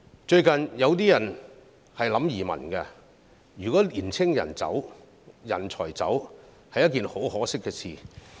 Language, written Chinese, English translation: Cantonese, 最近，有人考慮移民，如果青年人、人才離開，是一件很可惜的事。, Some people are considering emigration these days . It is a pity if our young people or talents leave